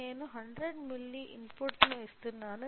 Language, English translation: Telugu, So, I am giving the input of a 100 milli